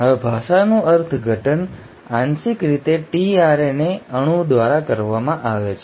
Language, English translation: Gujarati, Now that interpretation of the language is done in part, by the tRNA molecule